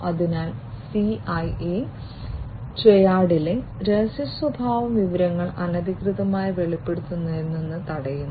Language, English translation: Malayalam, So, confidentiality in the CIA Triad stops from unauthorized disclosure of information